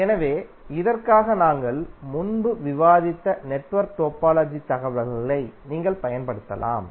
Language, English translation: Tamil, So for this you can utilize the network topology information which we discussed previously